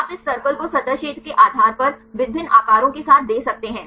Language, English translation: Hindi, You can give this circles with the different sizes based on the surface area